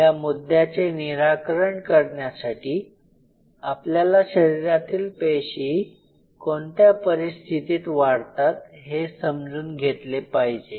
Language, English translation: Marathi, In order to address this point first of all we have to understand under what conditions of cells grow inside the body